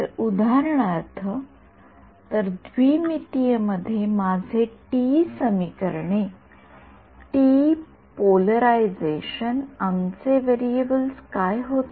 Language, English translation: Marathi, So, if let us take for example, our TE equations TE polarization in 2D what were our variables in TE